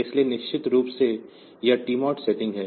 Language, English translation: Hindi, So, definitely this TMOD setting